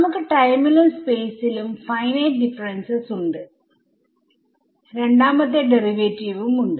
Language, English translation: Malayalam, So, we have finite differences in time and space and we have a second derivative